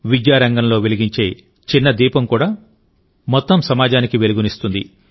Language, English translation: Telugu, Even a small lamp lit in the field of education can illuminate the whole society